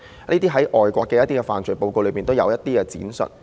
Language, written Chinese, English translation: Cantonese, 這些在外國的犯罪報告都有闡述。, All these have been illustrated in overseas reports of criminology